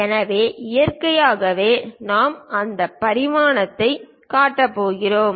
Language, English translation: Tamil, So, naturally we are going to show that dimension